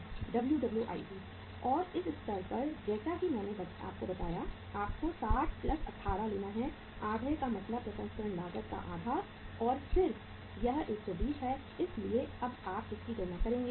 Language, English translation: Hindi, WWIP and at this stage as I told you, you have to take the 60 plus 18 is the half means the half the processing cost and then is the 120 so you will be now calculating this